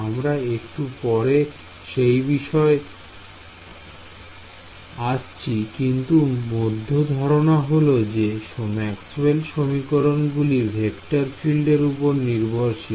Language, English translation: Bengali, So, we will come to that towards a little bit later, but basic idea is Maxwell’s equations are about vector fields